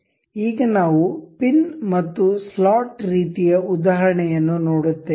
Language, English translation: Kannada, Now, we will see pin and slot kind of example